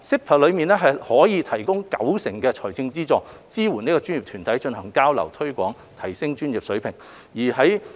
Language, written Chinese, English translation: Cantonese, PASS 提供高達九成的財政資助，支援專業團體進行交流、推廣、提升專業水平等。, The maximum amount of PASS grant for an approved project is 90 % of the total eligible project cost for supporting activities relating to exchanges publicity and enhancement of professionality